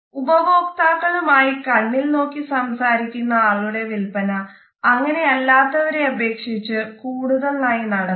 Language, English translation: Malayalam, Making eye contact with consumers are purchased significantly more than those that do not